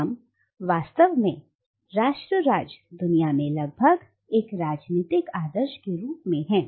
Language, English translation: Hindi, Now nation state is almost a political norm in the world